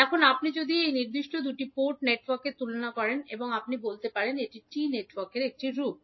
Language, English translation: Bengali, Now, if you compare this particular two port network, you can say it is a form of T network